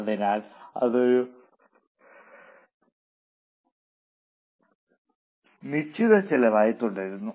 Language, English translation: Malayalam, Hence that comes as a fixed cost